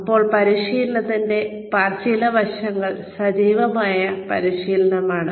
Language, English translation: Malayalam, Now, some aspects of practice are active practice